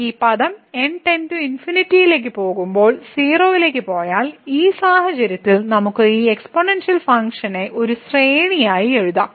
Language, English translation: Malayalam, So, if this term goes to 0 as goes to infinity, in this case we can write down this exponential function as a series